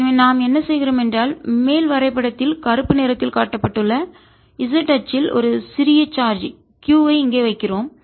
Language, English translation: Tamil, so what we are doing is we are putting a charge, small q, here on the z axis shown by black on the top figure